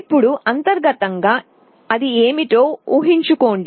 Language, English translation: Telugu, Now, internally you see what it is there